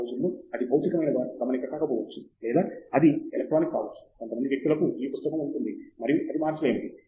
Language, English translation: Telugu, It may not be a physical note these days, it might be electronic for some people, but there is those notebook and it is irreplaceable